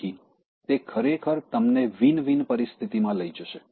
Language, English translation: Gujarati, So, that will actually take you to your Win Win situation